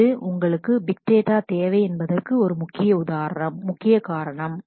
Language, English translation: Tamil, That is that is a one major reason that you need big data